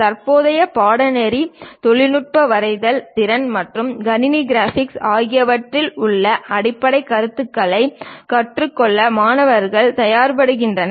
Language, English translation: Tamil, The present course prepares the students to learn the basic concepts involved in technical drawing skills and computer graphics